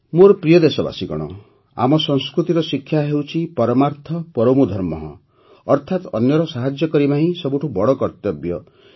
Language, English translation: Odia, My dear countrymen, the essence of the teachings of our culture is 'Parmarth Paramo Dharmah' i